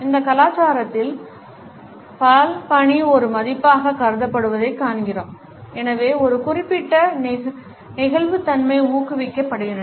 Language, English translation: Tamil, In these cultures we find that multitasking is considered as a value and therefore, a certain flexibility is encouraged